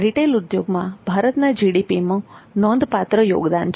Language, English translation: Gujarati, Retail market has significant contribution to India's GDP